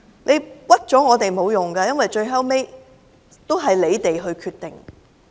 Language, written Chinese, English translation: Cantonese, 冤枉我們是沒有用的，因為最終也是你們的決定。, It is useless to put the blame on us because it is their decision after all